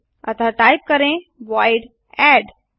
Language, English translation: Hindi, So type void add